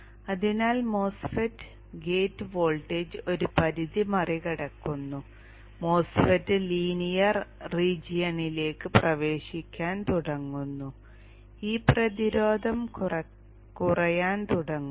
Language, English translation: Malayalam, So the mass fat, the gate voltage crosses the threshold, the MOSFIT starts entering into the linear region, this resistance starts decreasing